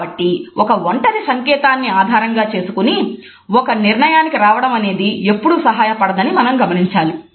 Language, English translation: Telugu, So, you would find that jumping into conclusion on the basis of a single isolated gesture is never helpful